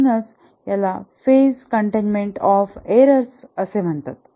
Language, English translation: Marathi, It's called as a phase containment of errors